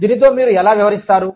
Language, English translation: Telugu, How do you deal with it